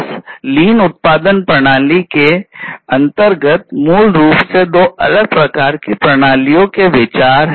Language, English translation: Hindi, So, this lean production system has basically considerations of two different types of systems that were there